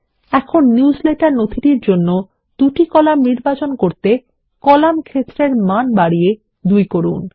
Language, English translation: Bengali, We will select two columns for the newsletter document by increasing the column field value to 2